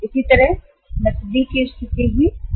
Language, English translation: Hindi, Similarly, the cash position will also be affected